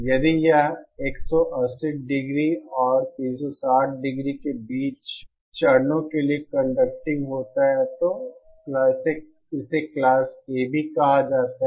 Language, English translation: Hindi, If it is conducting for phase between 180 degree and 360 degree, then it is called Class AB